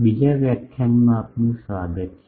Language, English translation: Gujarati, Welcome to the second lecture